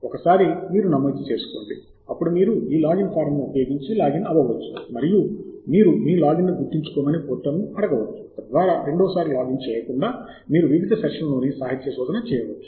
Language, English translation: Telugu, once you register, then you can log in by using this login form and you can ask the portal to remember your login so that you can perform the literature survey in different sessions without having to log in a second time